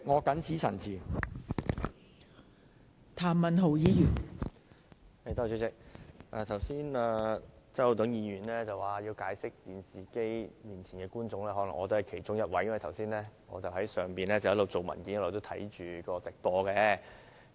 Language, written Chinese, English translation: Cantonese, 代理主席，周浩鼎議員剛才說要向電視機前的觀眾解釋，可能我也是其中一位，因為我剛才在樓上一邊處理文件，一邊觀看直播。, Deputy Chairman Mr Holden CHOW said earlier that he had to do some explaining to people watching the television and I was probably one of those people as I was upstairs handling some documents while watching the live broadcast of this meeting just now